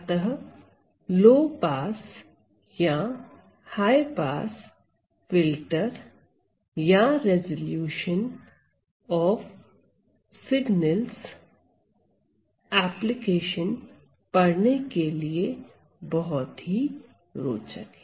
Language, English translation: Hindi, So, low pass or high pass filters or we have resolution, resolution of signals and so on